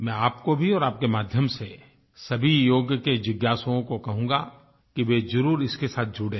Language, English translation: Hindi, To you and through you to all the people interested in Yoga, I would like to exhort to get connected to it